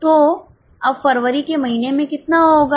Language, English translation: Hindi, So, how much will be in the month of February now